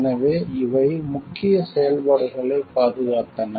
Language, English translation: Tamil, So, these are protected the main functions